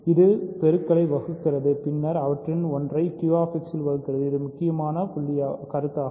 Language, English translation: Tamil, So, it divides the product then it divides one of them in QX that is the important point